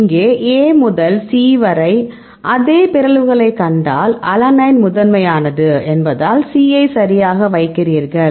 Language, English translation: Tamil, So, here if you see the same mutations A to C, because alanine is the first one then you put C right